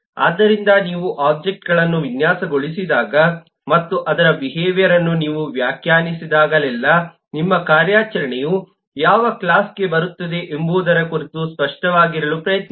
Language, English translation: Kannada, so whenever you design an objects and you define its behavior, try to be clear in terms of which category your operation falls in